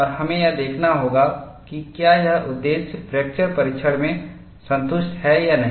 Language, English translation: Hindi, And we will have to see, whether this purpose is satisfied in fracture testing